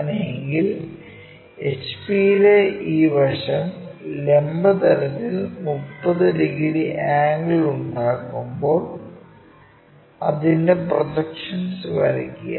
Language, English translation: Malayalam, If that is a case draw its projections when this side in HP makes 30 degree angle with vertical plane